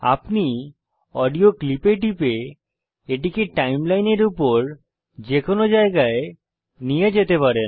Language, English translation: Bengali, You can move the audio clip to any location by clicking on it and sliding it on the timeline